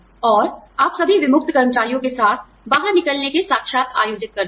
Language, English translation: Hindi, And, you conduct exit interviews, with all discharged employees